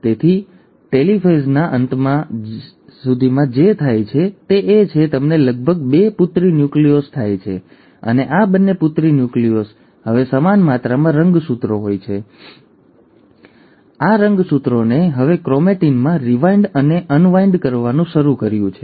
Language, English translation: Gujarati, So by the end of telophase, what happens is that you end up having almost two daughter nuclei and these two daughter nuclei now have equal amount of chromosome, and the chromosomes have now started to rewind and unwind into chromatin